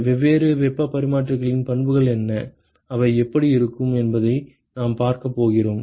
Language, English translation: Tamil, We are going to see what are the properties of different heat exchangers, how they look like